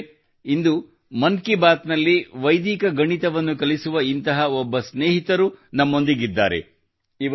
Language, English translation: Kannada, Friends, today in 'Mann Ki Baat' a similar friend who teaches Vedic Mathematics is also joining us